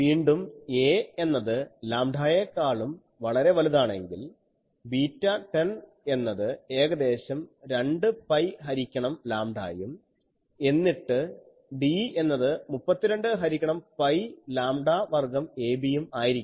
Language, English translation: Malayalam, So, again if we have a is much greater than lambda, then beta 10 is almost 2 pi by lambda and then D becomes 32 by pi lambda square ab, so that I can write as 8 by pi square 4 by 4 pi by lambda square ab